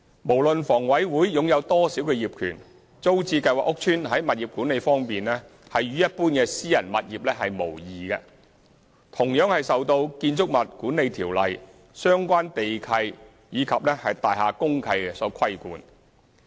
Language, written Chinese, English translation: Cantonese, 無論房委會擁有多少業權，租置計劃屋邨在物業管理方面與一般私人物業無異，同樣受《建築物管理條例》、相關地契及大廈公契所規管。, Regardless of the percentage of ownership shares held by HA there is no difference between TPS estates and other private properties in terms of property management . As with private housing estates TPS estates are subject to regulation under the Building Management Ordinance BMO relevant land leases and Deeds of Mutual Covenant DMCs